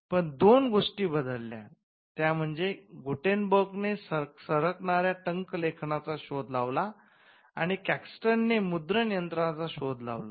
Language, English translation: Marathi, But two things changed, this one was the invention of the movable type by Gutenberg and two the printing press by Caxton